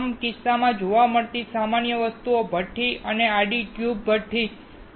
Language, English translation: Gujarati, In all the cases, the common things seen are a furnace and a horizontal tube furnace